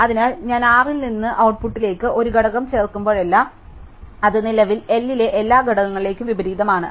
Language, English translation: Malayalam, So, whenever I add an element from R to the output, it is inverted with respect to the all the elements currently in L